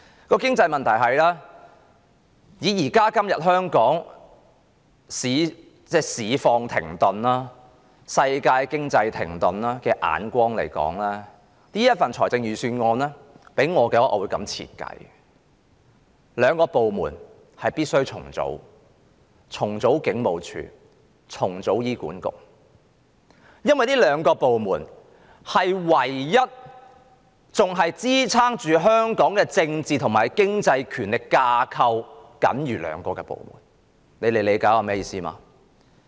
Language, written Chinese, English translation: Cantonese, 關於經濟問題，從現今香港市況停頓及世界經濟停頓的角度，我會對這份預算案作這樣的解說：有兩個部門必須重組，就是警務處及醫院管理局，因為這兩個部門是仍在支撐香港的政治和經濟權力架構的僅餘部門，大家理解我的意思嗎？, As regards economic problems in view of the stagnant market situation in Hong Kong and the global economic standstill I will interpret the Budget in this way two departments namely the Hong Kong Police Force and the Hospital Authority HA must be re - organized . This is because these two are the only departments that are still supporting the political and economic power structure of Hong Kong . Do people understand what I mean?